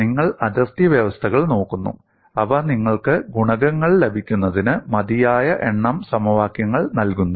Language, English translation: Malayalam, And you look at the boundary conditions, they provide you sufficient number of equations to get the coefficients